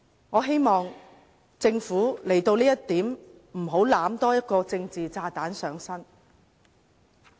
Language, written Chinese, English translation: Cantonese, 我希望政府在這一點上不要多攬一個政治炸彈上身。, I hope the Government does not take on another political bomb because of this issue